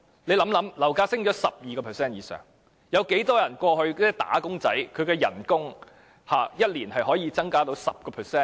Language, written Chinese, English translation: Cantonese, 試想想，樓價上升逾 12%， 有多少"打工仔"的薪酬一年可以增加 10%？, Come to think about it . Property prices have risen by more than 12 % . How many wage earners can have their salary increased by 10 % within a year?